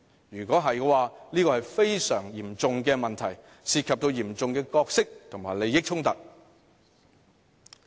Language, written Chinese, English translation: Cantonese, 如果有，這是非常嚴重的問題，涉及嚴重的角色及利益衝突。, If yes the problem will be very serious as serious conflict of roles and interests were involved